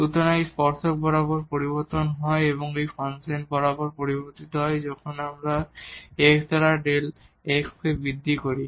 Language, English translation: Bengali, So, along this is change along the tangent and this is changed along the along the function itself when we make an increment in x by delta x